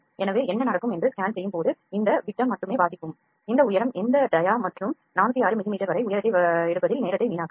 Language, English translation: Tamil, So, when we go for scan what will happen it will just it will just read this dia only this dia and this height it would not waste time in reading all these dia and the height up to 406 mm